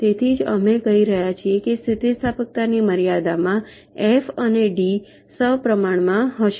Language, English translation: Gujarati, so that's why we are saying that within limits of elasticity the proportionality of f and d holds